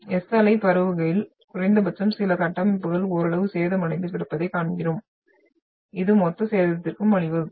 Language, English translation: Tamil, So the S wave when it the propagated, we at least see some structure is left out partially damaged but this will result into total damage